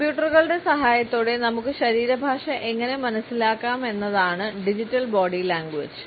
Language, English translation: Malayalam, Digital Body Language is about how with the help of computers, we can understand body language